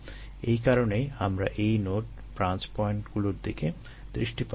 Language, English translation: Bengali, so that is why we look at these nodes, the branch points